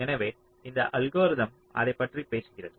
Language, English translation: Tamil, so this method talks about that